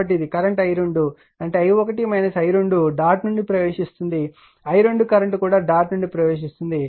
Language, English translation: Telugu, So, this is current is i 2; that means, i1 minus i 2 entering into the dot i 2 the current i 2 also entering into the dot right